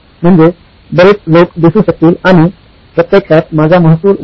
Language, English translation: Marathi, That means there are lots of people would show up and actually my revenue would go up